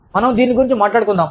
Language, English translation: Telugu, We will talk about this